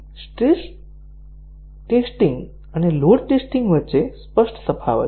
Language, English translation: Gujarati, So, there is a clear distinction between stress testing and load testing